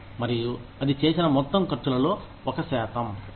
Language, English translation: Telugu, And, that is a percentage of the total expenses incurred